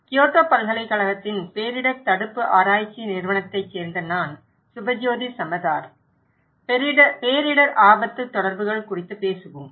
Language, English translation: Tamil, I am Subhajyoti Samaddar from Disaster Prevention Research Institute, Kyoto University and we will talk about disaster risk communications